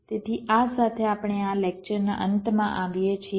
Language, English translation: Gujarati, ok, so with this we come to the end of this lecture